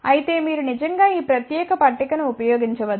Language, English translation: Telugu, However, you can actually use this particular table